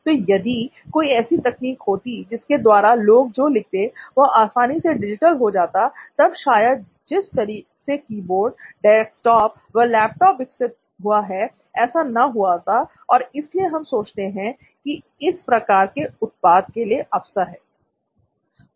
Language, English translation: Hindi, So if there was a technology which would have allowed people to you know write and whatever they have written got digitized easily then probably the way technology has evolved and keyboards have evolved into desktops and laptops would have been different is why we think an opportunity for something like this exists